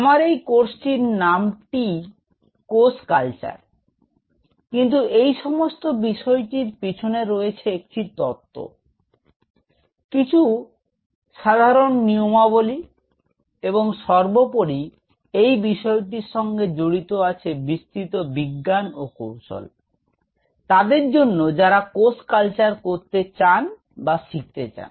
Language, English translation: Bengali, So, for me to put it across is though the name is just cell culture, but there is a philosophy behind this, whole thing, there are some basic rules and moreover, there is tremendous amount of science and art involved in it and if somebody who wants to do cell culture or wants to learn cell culture